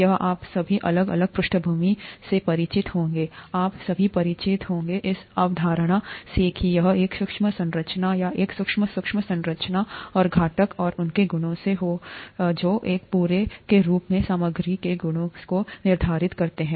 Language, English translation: Hindi, This you would all be familiar with, different backgrounds, you would all be familiar with this concept that it is a microscopic structure, or a sub microscopic structure and components and their properties that determine the properties of materials as a whole